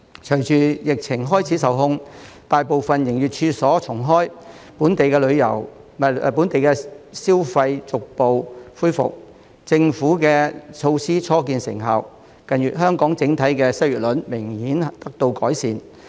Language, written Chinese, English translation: Cantonese, 隨着疫情開始受控，大部分營業處所重開，本地消費逐步恢復，政府的措施初見成效，近月香港整體的失業率明顯得到改善。, With the epidemic under control most business premises have reopened and local consumption has gradually picked up . The Governments measures have begun to bear fruit with the overall unemployment rate in Hong Kong improving significantly in recent months